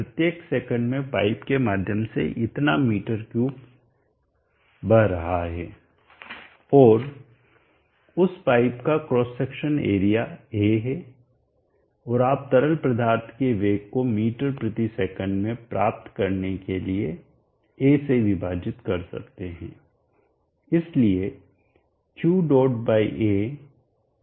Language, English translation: Hindi, So much m3 is flowing through the pipe every second and that pipe is having a cross section area A and you cloud divide by that A to obtain m/s the velocity of the fluid so therefore Q